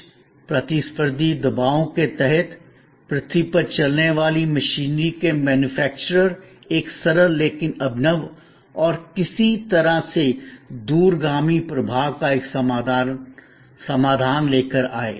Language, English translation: Hindi, Under some competitive pressures, the manufacturers of earth moving machineries came up with a simple, but innovative and in some way, a solution of far reaching impact